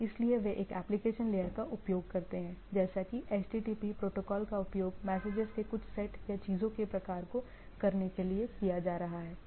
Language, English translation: Hindi, So, they use application layer like HTTP protocol is being used to carry some sets of messages or type of things right